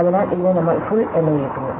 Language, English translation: Malayalam, So, this is what we called a Full